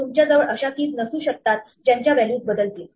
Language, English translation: Marathi, You cannot have keys, which are mutable values